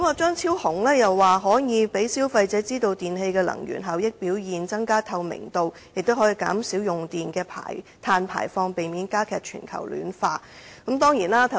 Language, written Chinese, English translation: Cantonese, 張超雄議員認為應讓消費者知道不同電器的能源效益表現，增加透明度，藉此減少用電的碳排放，避免加劇全球暖化。, Dr Fernando CHEUNG held that consumers should be informed of the energy efficiency of a wide range of electrical appliances for enhanced transparency with a view to reducing carbon emissions and avoiding aggravating global warming